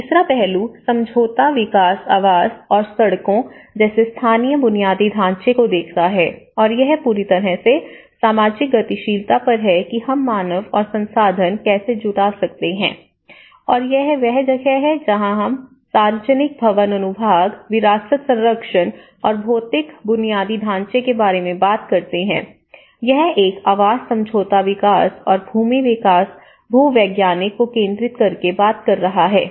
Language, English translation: Hindi, The third aspect looks at the settlement development housing and the local infrastructure like roads and this is completely on the social mobilization how we can mobilize the human and resources and this is where we talk about the public building section, heritage conservation and physical infrastructure and this one is looking at the housing settlement development and the land development geological